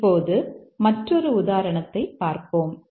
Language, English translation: Tamil, Now, let's look at another example